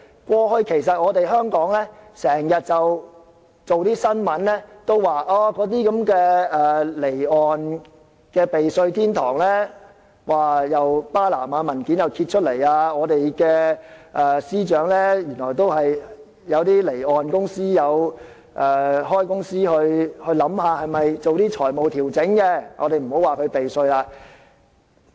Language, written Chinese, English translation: Cantonese, 過去，香港不時有報道有關離岸避稅天堂的新聞，例如巴拿馬文件揭發，原來我們的司長都有開離岸公司進行財務調整，我們不要說他避稅。, In the past it has been reported in Hong Kong from time to time news on tax havens . The Panama Papers for instance have revealed that our Secretary also engaged in financial adjustment―let us not call it tax evasion―with the establishment of an offshore company